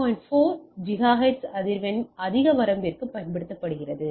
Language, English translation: Tamil, 4 gigahertz frequency for greater range